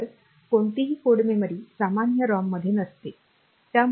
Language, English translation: Marathi, So, no code memory is in general ROM